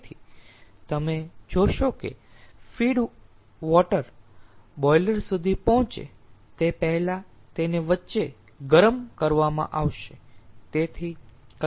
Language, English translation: Gujarati, so you see, the feed water will be heated in between before it reaches the boiler